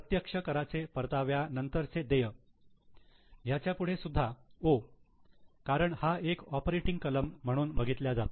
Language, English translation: Marathi, Payment of direct taxes, net of refund, this is O because taxes is treated as an operating item